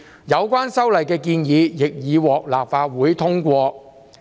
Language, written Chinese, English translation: Cantonese, 有關修例的建議亦已獲立法會通過。, The proposed legislative amendments had also been passed by the Legislative Council